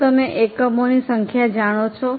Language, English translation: Gujarati, Do you know number of units